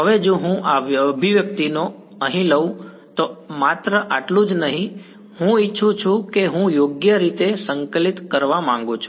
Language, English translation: Gujarati, Now if I take this expression over here its not just this that I want I want to integrate it right